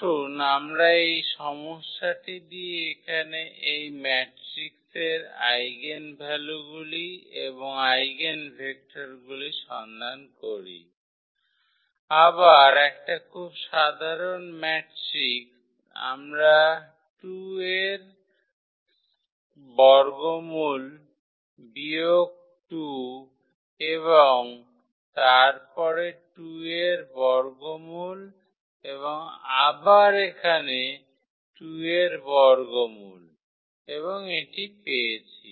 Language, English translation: Bengali, So, let us start with this problem here find eigenvalues and eigenvectors of this matrix, again a very simple matrix we have taken 2 square root minus 2 and then square root 2 and again here square root 2 and this one there